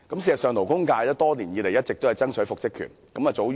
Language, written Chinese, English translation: Cantonese, 事實上，勞工界多年來一直爭取復職權。, In fact the labour sector has been fighting for the employees right of reinstatement for many years